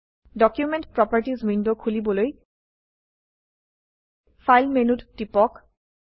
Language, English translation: Assamese, To open Document Properties window, click on File menu